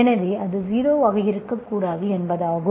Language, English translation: Tamil, So that means it should not be 0